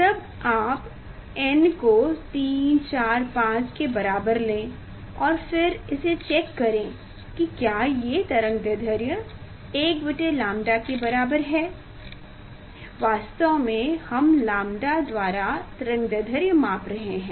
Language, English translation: Hindi, Then you take n equal to 3, 4, 5 and then see this matching with the wavelength 1 by lambda actually 1 by lambda that wavelength you are measuring